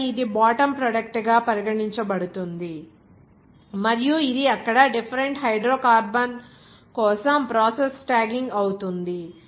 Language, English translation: Telugu, And then, it will be regarded as a bottom product and it will be process tagging for separate different hydrocarbon there